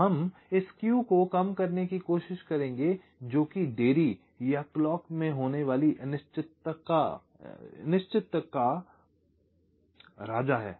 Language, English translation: Hindi, so we will try to minimize this skew, this king of delays or uncertainties in the clock